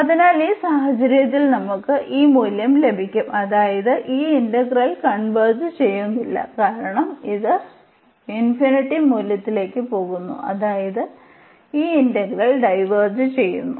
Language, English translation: Malayalam, So, in this case we will we get this value I mean this integral does not converge because, this is converging to going to infinity the value and this integral diverges